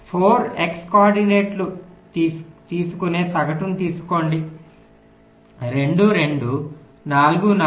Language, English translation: Telugu, take the average, you take the four x coordinates: two, two, four, four